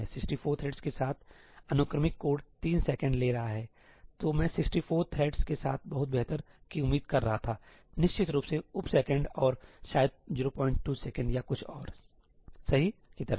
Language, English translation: Hindi, With 64 threads, the sequential code is taking 3 seconds, I was expecting much better with 64 threads definitely sub second and maybe something like 0